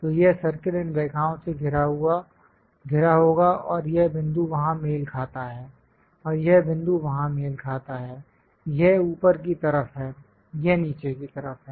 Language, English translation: Hindi, So, this circle will be bounded by these lines and this point matches there and this point matches there; this is on the top side, this is on the bottom side